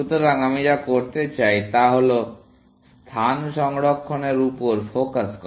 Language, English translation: Bengali, So, what I want to do is to, now, focus on saving space